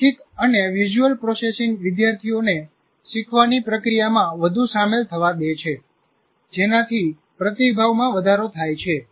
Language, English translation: Gujarati, Verbal and visual processing allow students to become more involved in the learning process leading to increasing retention